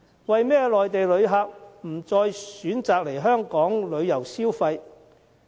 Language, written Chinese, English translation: Cantonese, 為甚麼內地旅客不再選擇來港旅遊消費？, Why do Mainland visitors no longer come to Hong Kong for leisure travel and shopping?